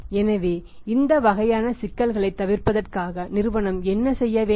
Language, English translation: Tamil, So, just to avoid this kind of the problems what the company should do